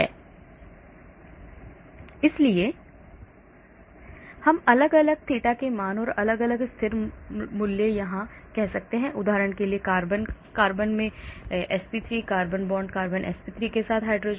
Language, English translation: Hindi, So we can have different theta0 values and different constant values here depending upon say for example, carbon carbon carbon in sp3, carbon carborn in sp3 with hydrogen H